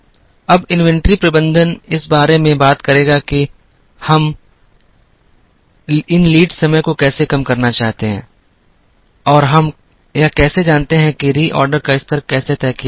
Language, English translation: Hindi, Now, inventory management would talk about, how we ensure to minimize these lead times and how do we know that, how the reorder level has to be fixed